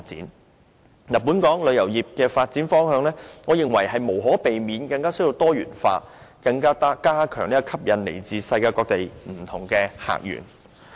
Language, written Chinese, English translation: Cantonese, 我認為，本港旅遊業的發展方向，無可避免需要更多元化，以加強吸引來自世界各地的不同客源。, In my view it is inevitable that greater diversification is the direction of development of Hong Kongs tourism industry in order to enhance its appeal to different sources of visitors around the world